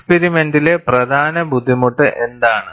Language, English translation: Malayalam, And, what is the main difficulty in the experiment